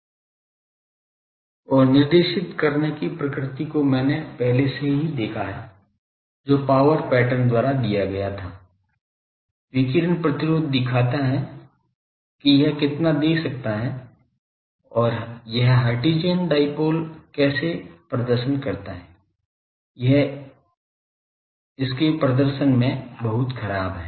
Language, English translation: Hindi, And already I have seen the directed nature, that was given by power pattern radiation resistance give the how much, it can give and how this Hertzian dipole performs it is very poor in its performance